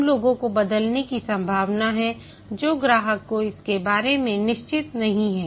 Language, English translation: Hindi, Those are riskier, likely to change the customer is not sure about it